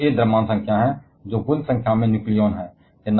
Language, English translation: Hindi, A on the other hand is the mass number, which is the total number of nucleons